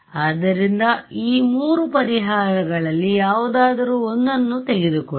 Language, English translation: Kannada, So, take any one of these three solutions ok